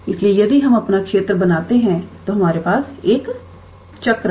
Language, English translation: Hindi, So, if we draw our region, then we have a circle